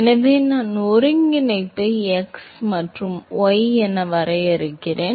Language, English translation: Tamil, So, I define coordinate as x and y